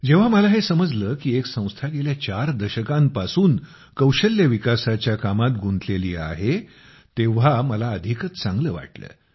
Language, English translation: Marathi, And when I came to know that an organization has been engaged in skill development work for the last four decades, I felt even better